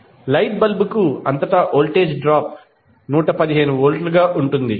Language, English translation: Telugu, So, voltage drop across the light bulb would come out to be across 115 volt